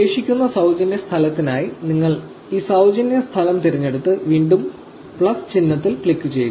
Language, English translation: Malayalam, For the remaining free space you choose this free space and click the plus sign again